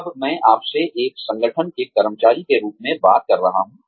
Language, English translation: Hindi, Now, I am talking to you, as an employee of an organization